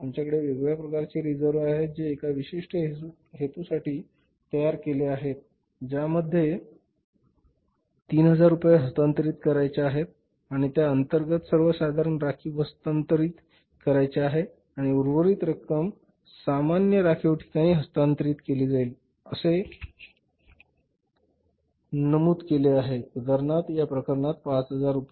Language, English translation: Marathi, We want to transfer 3,000 rupees for that and then finally is to transfer to general reserve and remaining amount will be transferred to the general reserve that amount is say for example in this case is 5,000 rupees